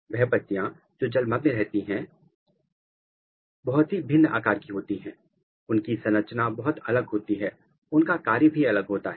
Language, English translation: Hindi, The leaves which are submerged they have a very different morphology, they have a very different structure, they have a different function